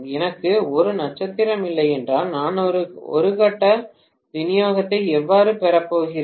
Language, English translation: Tamil, Unless I have a star, how am I going to derive a single phase supply